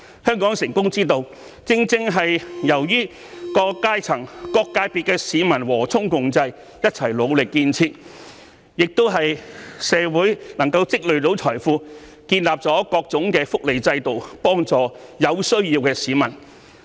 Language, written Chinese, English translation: Cantonese, 香港成功之道，正是由於各階層、各界別的市民和衷共濟，一起努力建設；亦由於社會能夠積累財富，建立各種福利制度，幫助有需要的市民。, The success of Hong Kong is precisely built upon the concerted efforts of members of the public at various strata and sectors . And also because our society is able to accumulate wealth various welfare systems can be set up to help those in need